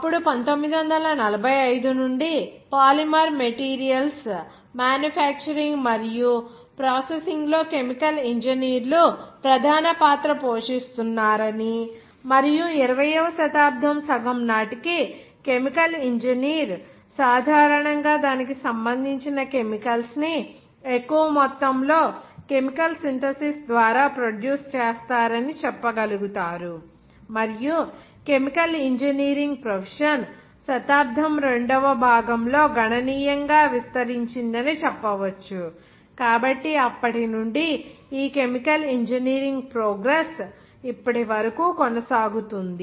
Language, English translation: Telugu, Then 1945, onwards you can say that chemical engineers are continued to play a central role in manufacture and processing of polymer materials and the chemical engineer of the first half of the 20 century was generally concerned with the largest production of chemicals usually you can that say through classical Chemical synthesis and also you can say that the beginning of that the profession of chemical engineering expanded considerably in Outlook during the second half of the century, so from then onwards this chemical engineering progress continued to date